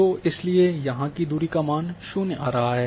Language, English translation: Hindi, So, that is why distance here is coming zero